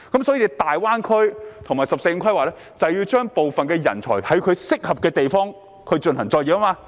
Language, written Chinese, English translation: Cantonese, 所以，大灣區和"十四五"規劃就是要安排部分人才在其適合的地方發展。, This is why the planning of the Greater Bay Area and the 14th Five - Year Plan seek to arrange for some talents to pursue development in places suitable for them